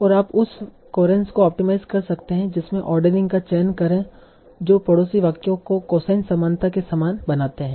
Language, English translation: Hindi, And you can optimize the coherence that is choose ordering that make the neighboring sentences similar by cosine similarity